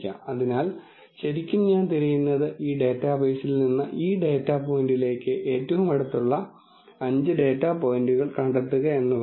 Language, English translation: Malayalam, So, really what I am looking for, is finding 5 closest data points from this data base to this data point